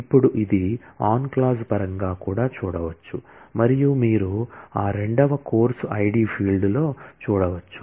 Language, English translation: Telugu, And now, this can be seen in terms of the on clause as well, and you can see in that second course id field